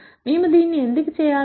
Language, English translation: Telugu, Why do we want to do this